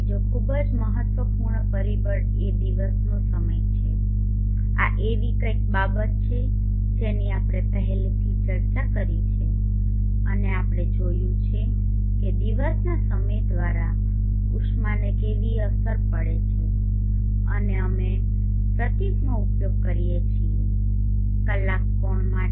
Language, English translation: Gujarati, Another very important factor is the time of day this is something that we have discussed already and we saw how the insulation is affected by the time of the day and we use the symbol